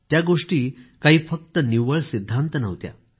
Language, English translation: Marathi, They were not just mere theories